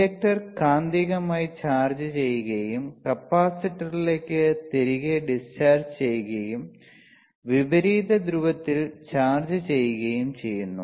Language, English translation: Malayalam, Then the inductor is magnetically chargesd and then it dischargess back into the capacitor, chargeing it in the opposite polarity right